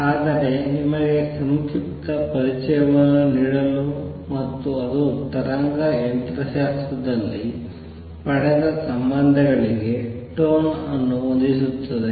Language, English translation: Kannada, But to give you a brief introduction and what it sets the tone for the relations that are derived in wave mechanics also